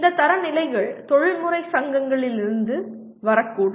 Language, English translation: Tamil, These standards may come from the professional societies